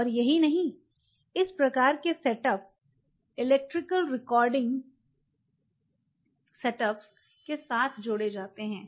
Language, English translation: Hindi, You can use this and not only that there are these kinds of setup added up with electrical recording setups